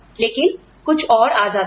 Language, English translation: Hindi, But, something else comes in